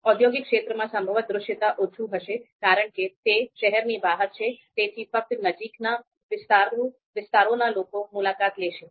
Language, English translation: Gujarati, And then industrial area, probably it will have you know low visibility because it is outside the city, so only people in the in the in the nearby areas will visit